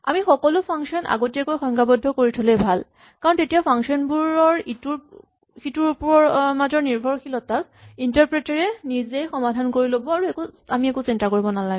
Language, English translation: Assamese, It’s really useful if we define all functions upfront because any inter dependency between functions will be resolved right way by the interpreter and we do not have to worry about it